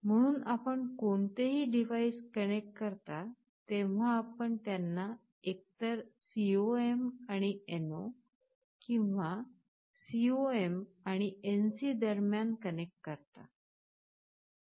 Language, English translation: Marathi, So, when you connect any device you either connect them between the COM and NO, or between COM and NC